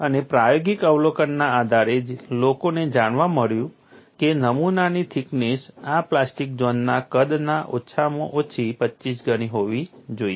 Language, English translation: Gujarati, And based on experimental observation, people found that the specimen thickness should be at least 25 times of this plastic zone size